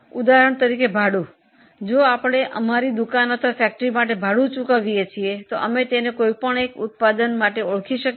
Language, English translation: Gujarati, If we are paying rent for our shop or for our factory, can we identify it for any one product